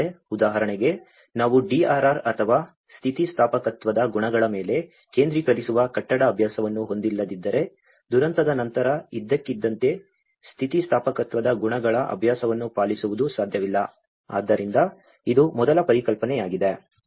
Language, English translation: Kannada, For instance, if we don’t have a building practice that focuses on the DRR or the qualities of resilience, we can scarcely hope to turn the practice around overnight after a disaster, so this is the first concept